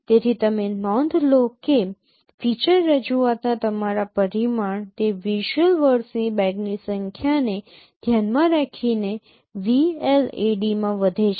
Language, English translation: Gujarati, So you note that your dimension of feature representation it increases in VLAD considering the number of bag of visual words